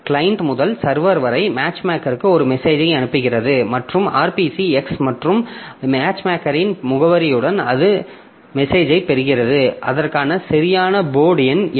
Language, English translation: Tamil, So, from client to server, the matchmaker it sends a message to the port number matchmaker and with the address of RPC X and the matchmaker it receives the message and looks up for answer like which one, what is the exact port number for that